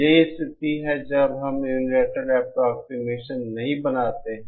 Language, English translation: Hindi, That is the case when we do not make the unilateral approximation